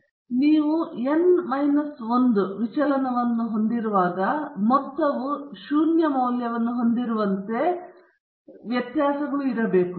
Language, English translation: Kannada, So, when you have n minus 1 deviation, the nth deviations should be such that the sum is having a value of zero